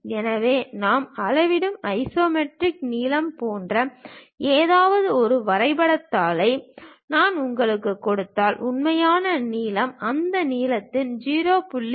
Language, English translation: Tamil, So, if I am giving you a drawing sheet on which there is something like isometric lengths which we are measuring, the true length will be 0